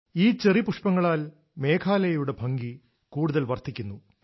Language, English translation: Malayalam, These cherry blossoms have further enhanced the beauty of Meghalaya